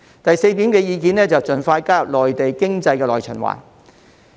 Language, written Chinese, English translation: Cantonese, 第四，是盡快加入內地經濟的內循環。, Fourth it is to expeditiously join the internal circulation of the Mainland economy